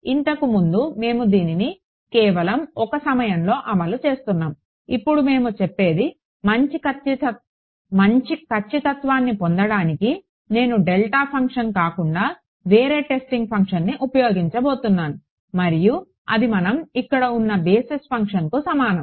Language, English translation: Telugu, Previously, we were enforcing this at just one point; now, what we say is to get better accuracy I am going to use a testing function other than a delta function and that is the same as a basis function that we here